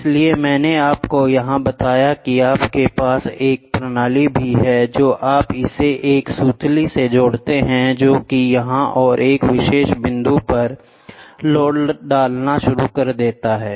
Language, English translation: Hindi, So, I told you here also you have a system, then you attach a twine to it start putting the load here and at one particular load